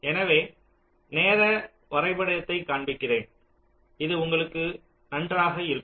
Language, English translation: Tamil, so let me show you the timing diagram so it will be good for you